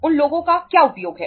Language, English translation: Hindi, What is the use of that people